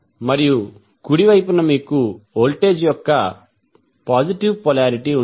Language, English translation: Telugu, And at the right side you have positive polarity of the voltage